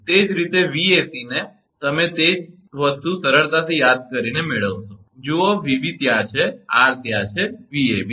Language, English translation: Gujarati, Similarly, Vac also same way, you can you will get the same thing easy to remember look, Vab is there r is there Vab